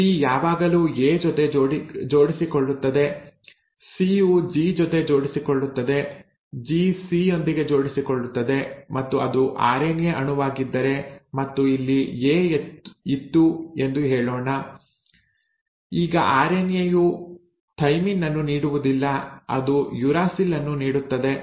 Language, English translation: Kannada, T will always pair with an A, C will pair with a G, G will pair with a C and if it is an RNA molecule and let us say there was an A here; now RNA will not give thymine it will give a uracil